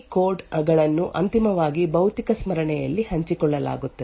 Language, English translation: Kannada, Now as a result of the copy on write, the library codes are eventually shared in the physical memory